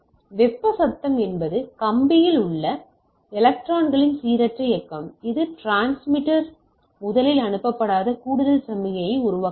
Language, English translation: Tamil, So, thermal noise is a random motion of electrons in wire which creates an extra signal not originally sent by the transmitter